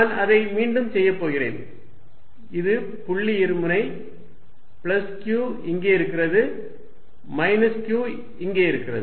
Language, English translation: Tamil, I am going to make it again, this is my point dipole plus q sitting here minus q sitting here